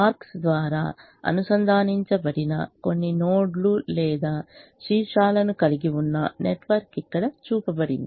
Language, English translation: Telugu, a network is shown here which has some nodes or vertices which are connected by arcs